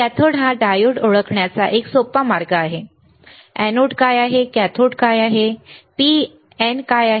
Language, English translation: Marathi, There is a cathode is easy way of identifying diode which is anode, which is cathode which is P which is N